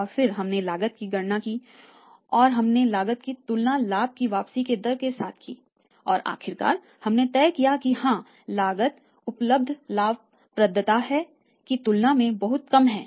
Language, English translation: Hindi, And then we calculated the cost and then we compare the cost with the say the rate of return the profitability finally we have decided that yes cost is much less than the profitability available